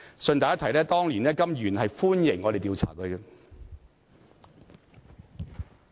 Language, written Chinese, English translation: Cantonese, 順帶一提，當年的甘議員是歡迎我們調查他的。, By the way the former Member Mr KAM welcomed the investigation